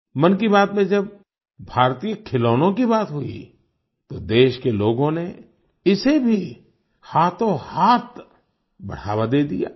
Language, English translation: Hindi, In 'Mann Ki Baat', when we referred to Indian toys, the people of the country promoted this too, readily